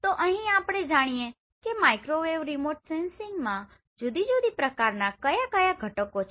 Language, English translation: Gujarati, Now here let us understand what are the different types of component we have in Microwave Remote Sensing